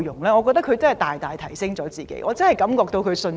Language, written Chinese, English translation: Cantonese, 我覺得他們大大提升了自己的水平，重拾信心。, I think they have significantly enhanced their standards and regained confidence